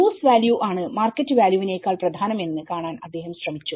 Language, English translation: Malayalam, And he tried to see that the use value is more significant than the market value